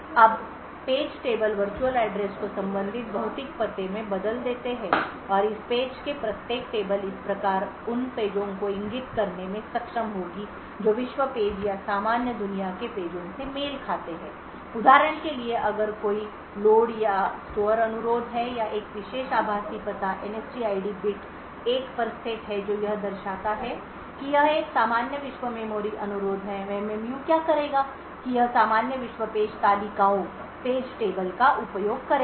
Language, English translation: Hindi, Now the page tables convert the virtual address to corresponding physical address and each of this page tables would thus be able to point to pages which correspond to secure world pages or the normal world pages so for example if there is a say load or store request to a particular virtual address the NSTID bit is set to 1 which would indicate that it is a normal world memory request, what the MMU would do is that it would use the normal world page tables